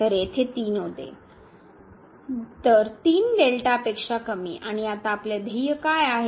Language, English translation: Marathi, So, here 3 was there; so, less than 3 delta and what is our aim now